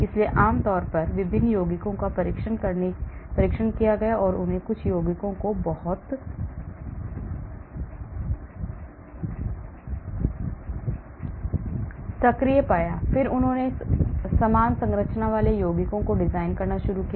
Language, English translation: Hindi, so generally the tested different compounds and they found some compounds to be very active then they started designing compounds with similar structure